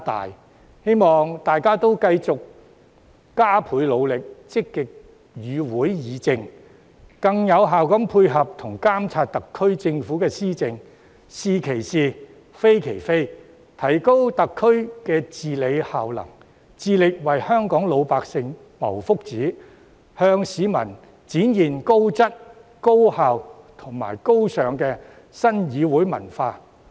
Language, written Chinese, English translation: Cantonese, 我希望大家繼續加倍努力，積極與會議政，更有效地配合及監察特區政府施政，是其是，非其非，提高特區的治理效能，致力為香港老百姓謀福祉，向市民展現高質、高效及高尚的新議會文化。, I hope Members can continue with their hard work actively deliberate policies in meetings offer effective support for the administration of the SAR Government and exercise monitoring by calling a spade a spade so as to enhance the governance capability of HKSAR work towards the well - being of the broad masses in Hong Kong and display to people a fresh admirable parliamentary culture with a high quality and efficiency